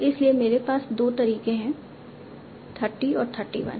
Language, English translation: Hindi, So I have two ways 30 and 31 so I will choose one with 31